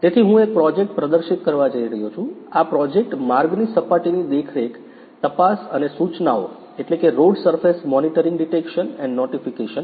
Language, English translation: Gujarati, So, I am going to demonstrate a project, the project is road surface monitoring detections and notifications